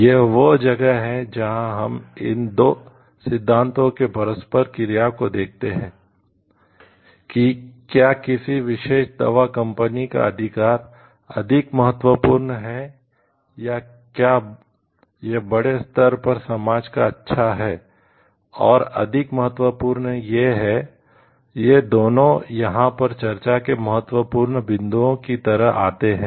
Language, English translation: Hindi, This is where we see the interplay of these two theories whether right of a particular medicine company is more important or whether it is a good of the society at large is more important these two comes like important points of discussion over here